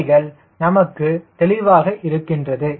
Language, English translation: Tamil, right, this things are clear to us